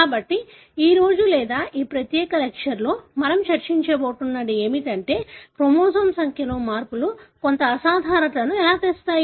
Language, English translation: Telugu, So, what we are going to discuss today or in this particular class is that how changes in the chromosome number may bring about some abnormality